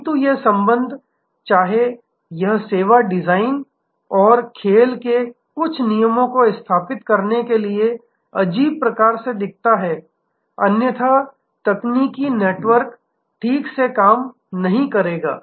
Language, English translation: Hindi, But, all these relationships even though this looks a pretty fuzzy sort of setting service design and certain rules of the game are very important; otherwise the technical network will not operate properly